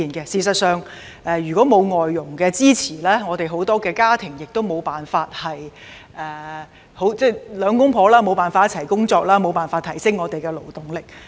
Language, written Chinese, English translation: Cantonese, 事實上，如果沒有外傭的支持，很多家庭都無法讓夫妻二人都上班工作，因而無法提升我們的勞動力。, In fact for many families it is impossible for both the husband and the wife to go to work without the assistance of FDHs . And our workforce cannot be enhanced either